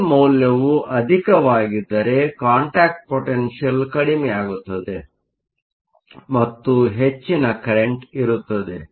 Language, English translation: Kannada, So, higher the value of V, lower the contact potential and the higher the current